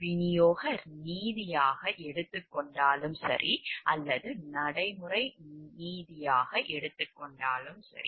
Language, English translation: Tamil, Whether it is taken to be distributive justice or whether it is taken to be a procedural justice